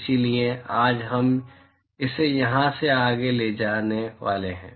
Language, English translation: Hindi, So, we are going to take it forward from here today